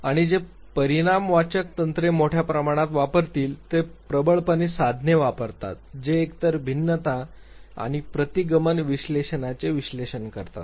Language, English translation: Marathi, And those who will use the quantitative techniques they largely, dominantly use the tools which are either analysis of variance or regression analysis